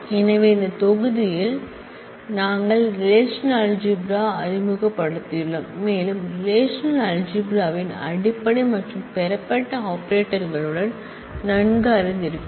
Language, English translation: Tamil, So, in this module, we have introduced the relational algebra and we have familiarized ourselves with the fundamental and derived operators of relational algebra